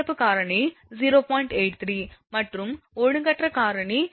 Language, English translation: Tamil, 83 and irregularity factor is 0